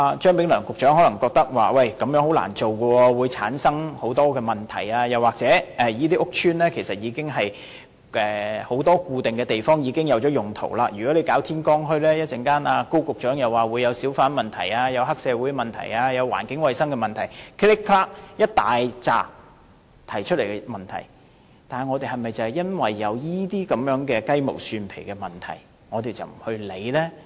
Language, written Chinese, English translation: Cantonese, 張炳良局長可能覺得這樣很難做，會產生很多問題，又或這些屋邨很多固定地方已有既定用途，如果舉辦天光墟，高局長又會提出小販、黑社會、環境衞生等一大堆問題，但我們是否因為這些雞毛蒜皮的問題而不去做呢？, Secretary Prof Anthony CHEUNG may consider it difficult to do so and hold that many problems may arise or as many of the fixed places of these estates already have specified uses and if morning bazaars have to be set up Secretary Dr KO may caution us about the emergence of a great many problems such as those concerning hawkers triads environmental hygiene and so on . But should we refrain from taking actions because of minor trivial problems?